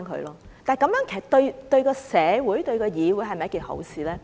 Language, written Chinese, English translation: Cantonese, 然而，這樣對社會、對議會是否一件好事呢？, However is it a good thing to the Legislative Council and the community?